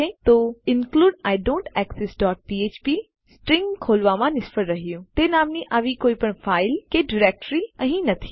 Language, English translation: Gujarati, So include idontexist dot php failed to open stream no such file or directory in that name here